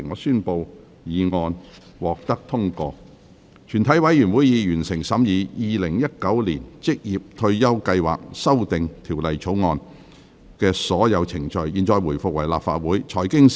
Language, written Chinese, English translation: Cantonese, 全體委員會已完成審議《2019年職業退休計劃條例草案》的所有程序。現在回復為立法會。, All the proceedings on the Occupational Retirement Schemes Amendment Bill 2019 have been concluded in committee of the whole Council